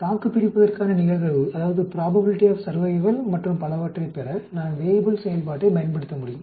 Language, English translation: Tamil, I can use the Weibull function to get the probability of survival and so on